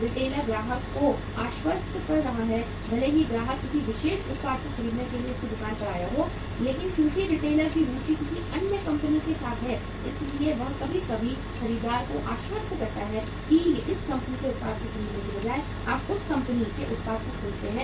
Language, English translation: Hindi, Retailer is convincing the customer even though the customer has come prepared to his shop to purchase a particular product but since retailer’s interest is with some other company so he sometime convinces the buyer that rather than buying the product of this company you buy the product of that company